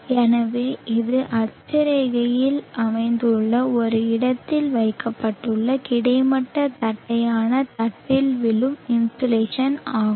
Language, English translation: Tamil, ), so this would be the insulation that is falling on a horizontal flat plate placed at a locality located on the latitude